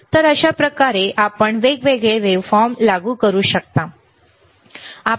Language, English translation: Marathi, So, this is thehow you can you can apply different waveforms, right